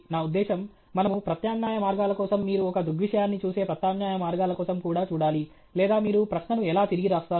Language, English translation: Telugu, I mean, we should also look for alternate ways, alternate ways in which you view a phenomenon okay or how do you rephrase a question okay